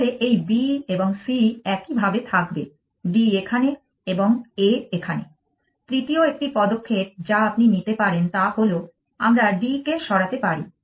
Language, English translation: Bengali, So, this B and C remain like this D is here and A is here, A third move that you can make is we can move D